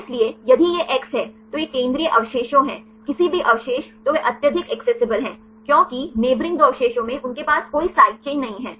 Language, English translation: Hindi, So, in this if it is x it is central residues any residue its highly accessible, because neighboring two residues they do not have the any side chain